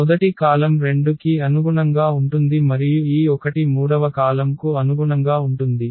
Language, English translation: Telugu, The first column this is also corresponding to 2 and this corresponds to 1 the third column